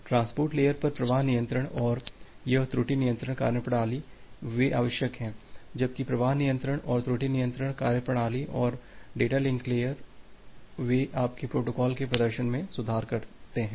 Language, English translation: Hindi, The flow control and this error control mechanism at the transport layer; they are essential whereas the flow control and the error control mechanism and the data link layer they improve the performance of your protocol